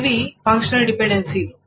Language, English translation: Telugu, These are the functional dependencies